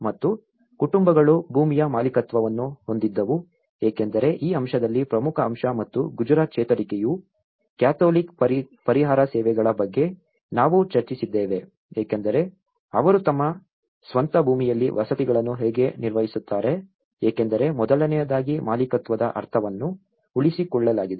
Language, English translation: Kannada, And the families held the ownership of the land because in this aspect the main important aspect and the Gujarat recovery also we did discussed about the catholic relief services how they manage the housing in their own land because first of all, the sense of ownership is retained as it is okay